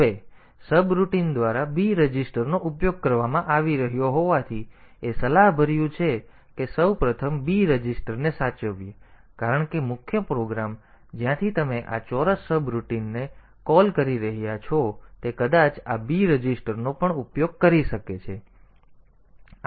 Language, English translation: Gujarati, Now, since b registered is being used by the subroutine, so it is advisable that we first save the b registered because the main program from where you are calling this square subroutine maybe using these b register also